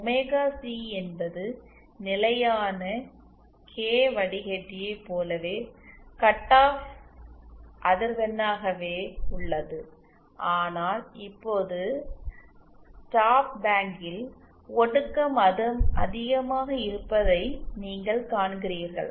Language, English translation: Tamil, Omega C remains it remains the cut off frequency, just like in the constant K filter, but now you see the attenuation is much higher in the stop bank